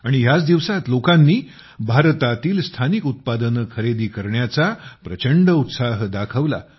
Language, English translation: Marathi, And during this period, tremendous enthusiasm was seen among the people in buying products Made in India